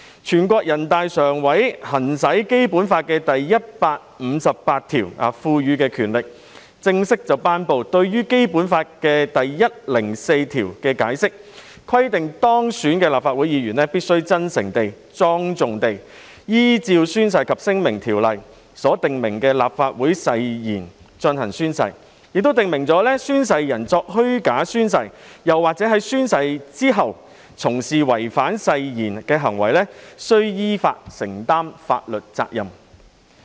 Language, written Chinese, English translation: Cantonese, 全國人民代表大會常務委員會行使《基本法》第一百五十八條賦予的權力，正式頒布關於《基本法》第一百零四條的解釋，規定當選的立法會議員必須真誠地、莊重地依照《宣誓及聲明條例》所訂明的立法會誓言進行宣誓，亦訂明"宣誓人作虛假宣誓或者在宣誓之後從事違反誓言行為的，依法承擔法律責任"。, Exercising the power conferred by Article 158 of the Basic Law the Standing Committee of the National Peoples Congress formally promulgated the Interpretation of Article 104 of the Basic Law which stipulates that an elected member of the Legislative Council must take the oath sincerely and solemnly in accordance with the Legislative Council Oath prescribed by the Oaths and Declarations Ordinance and that [a]n oath taker who makes a false oath or who after taking the oath engages in conduct in breach of the oath shall bear legal responsibility in accordance with law